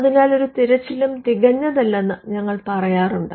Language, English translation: Malayalam, For this reason, we say that no search is perfect